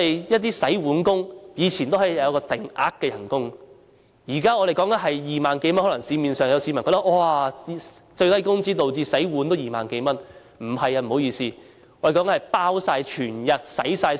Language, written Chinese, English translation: Cantonese, 一些洗碗工人以前有定額薪金，現在洗碗工人工資2萬多元，市民可能會覺得最低工資導致洗碗都有2萬多元工資。, Before some dishwashers used to receive a fixed salary . Now their salary is some 20,000 which the public may think is a result of the minimum wage